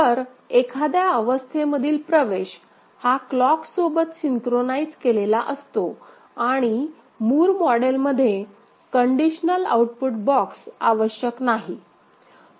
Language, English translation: Marathi, So, entry into a state is synchronized with the clock and in Moore model conditional output box is not necessary